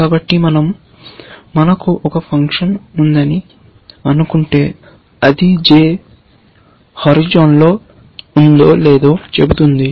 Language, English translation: Telugu, So, if we assumed that we have a function, which tells us, weather j is on the horizon or not